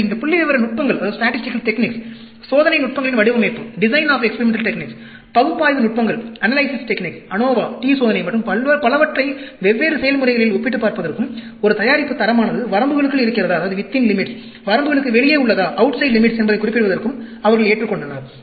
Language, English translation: Tamil, So, they adopted lot of these statistical techniques, design of experiment techniques, the analysis techniques, ANOVA, t test, and so on, for comparing different processes, for mentioning whether a product quality is within limits, outside limits